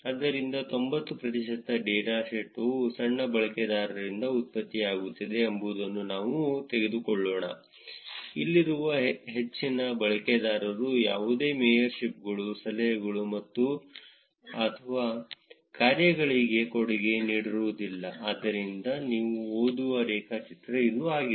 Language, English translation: Kannada, So, let us take figure 90 percent of the data is getting generated by small set of users; majority of the users over here do not contribute to any of the mayorships, tips or dones, so that is the graph that you would read